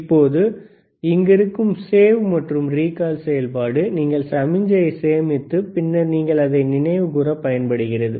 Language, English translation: Tamil, Now, other than that, save and recall is the same function that you can save the signal, and you can recall it later